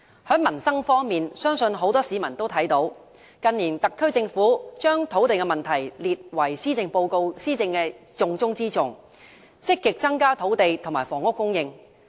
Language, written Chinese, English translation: Cantonese, 在民生方面，相信很多市民都看見特區政府近年將土地問題列為施政的重中之重，積極增加土地和房屋供應。, Regarding peoples livelihood I believe many people see that in recent years the SAR Government has listed land as its top - priority task and has actively increased land and housing supply